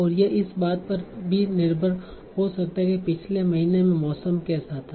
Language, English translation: Hindi, And it might also depend on what was the weather in the last month and so on